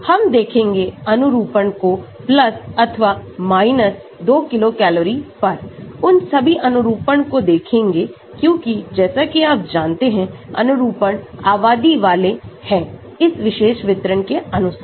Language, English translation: Hindi, We will look at conformations with + or 2 kilo cals look at all those conformations because as you know, the conformations are populated according to this particular distribution